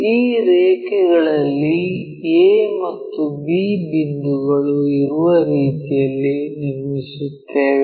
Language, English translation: Kannada, On these lines we construct in such a way that a and b points will be located